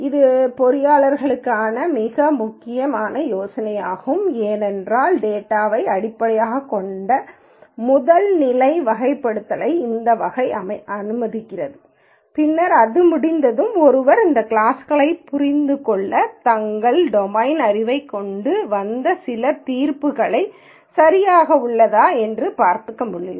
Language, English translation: Tamil, This is a very important idea for engineers because this kind of allows a first level categorization of data just purely based on data and then once that is done then one could bring in their domain knowledge to understand these classes and then see whether there are some judgments that one could make